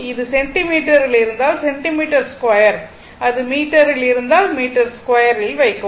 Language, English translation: Tamil, If it is in centimeter, centimeter square; if it is in meter, you put in meter square, right